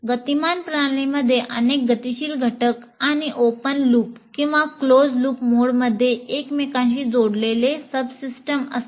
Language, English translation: Marathi, And a dynamic system consists of several dynamic elements or subsystems interconnected in open loop or closed loop mode